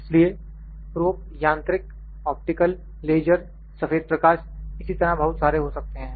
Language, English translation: Hindi, So, probes may be mechanical, optical, laser, white light and many such